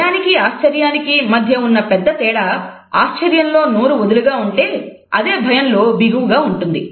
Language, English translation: Telugu, The biggest difference between this and fear is that surprise causes your mouth to be loose, while fear the mouth is tensed